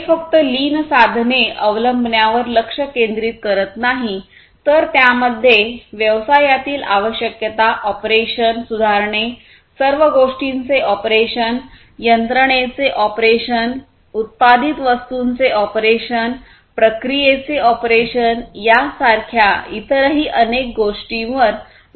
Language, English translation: Marathi, And it does not focus on just the adoption of the lean tools, but also it focuses on different other areas such as business requirements, operation improvement, operation of everything, operation of the machinery, operation of the product being developed, operation of the processes